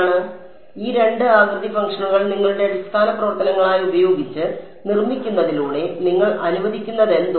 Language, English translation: Malayalam, So, by constructing by using these two shape functions as your basis functions what you are allowing